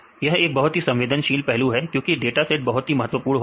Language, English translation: Hindi, This is very sensitive because dataset is very important